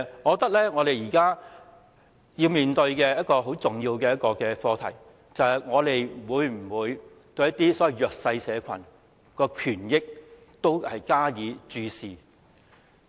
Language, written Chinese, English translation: Cantonese, 我認為，我們現在面對一個十分重要的課題，便是我們會否對所謂弱勢社群的權益加以注視？, In my view now we are facing a very important issue that is will we pay closer attention to the rights and interests of the disadvantaged?